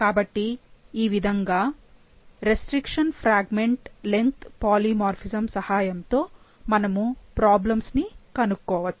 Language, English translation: Telugu, So this, this is how restriction fragment length polymorphism helps us in diagnosing problems